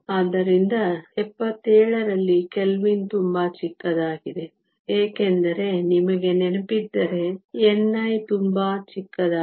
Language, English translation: Kannada, So, sigma at 77 Kelvin is very small, because if you remember n i is very small